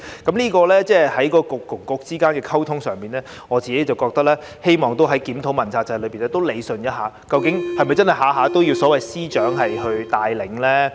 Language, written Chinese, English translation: Cantonese, 在政策局與政策局之間的溝通上，我希望在檢討問責制時可以理順一下，究竟是否真的要所有事宜均由司長帶領呢？, In the communication among Policy Bureaux I wish that this can also be improved in the review of the accountability system . Should all matters really be led by Secretaries of Departments?